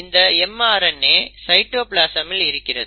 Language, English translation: Tamil, And now this mRNA is sitting in the cytoplasm